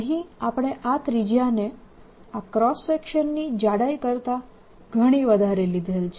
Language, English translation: Gujarati, let us take the radius of this to be much, much, much greater than the thickness of your cross section